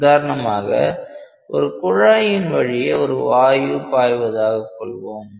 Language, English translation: Tamil, For example, like if you have a flow of gas through a pipe